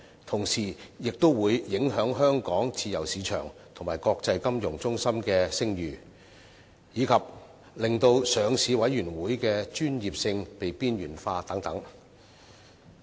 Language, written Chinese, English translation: Cantonese, 同時，亦會影響香港自由市場及國際金融中心的聲譽，以及令上市委員會的專業性被邊緣化等。, At the same time we also fear that the proposal will affect the reputation of Hong Kong as a free market and international financial hub and marginalize the professionalism of the Listing Committee